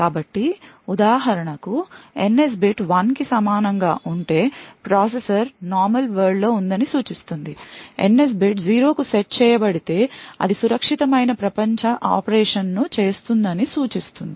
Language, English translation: Telugu, So, for instance if the NS bit is equal to 1 it indicates that the processor is in the normal world, if the NS bit is set to 0 that would indicate a secure world operation